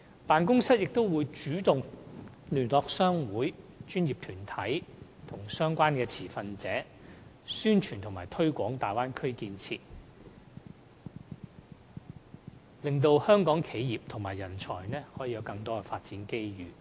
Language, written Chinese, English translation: Cantonese, 辦公室亦會主動聯絡各商會、專業團體和相關持份者，宣傳和推廣大灣區建設，令香港企業和人才能夠有更多發展機遇。, The Office will also proactively approach chambers of commerce professional bodies and relevant stakeholders to publicize and promote Bay Area development so as to create more development opportunities for Hong Kong enterprises and talents